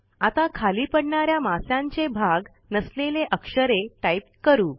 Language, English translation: Marathi, Now lets type a character that is not part of a falling fish